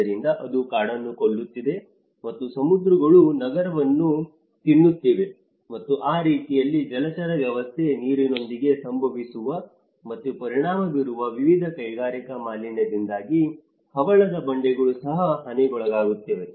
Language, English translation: Kannada, So that has becoming that is killing the forest and the seas have been raising that is eating out the city, and in that way, the coral reefs against thy are also damaged because of various industrial pollution which is happening within water and that is affecting the aquatic system